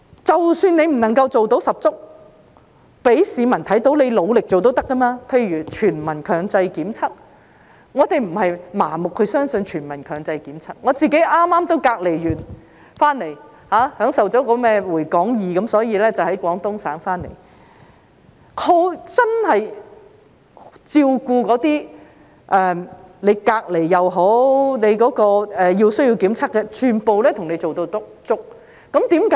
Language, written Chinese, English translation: Cantonese, 即使你不能夠做到十足，讓市民看到你努力做也是可以的，例如全民強制檢測，我們不是盲目相信全民強制檢測，我也剛剛完成隔離，享受了"回港易"，所以我在廣東省回來，他們真的照顧那些不論是隔離或需要檢測的人，全部做足工夫。, We do not blindly believe in population - wide compulsory testing . I have also just completed my isolation and enjoyed the benefits of the Return2hk Scheme . That is why I witnessed on my way back from Guangdong that they really did their best to take care of those requiring isolation or testing no matter which